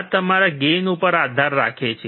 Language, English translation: Gujarati, This depends on your gain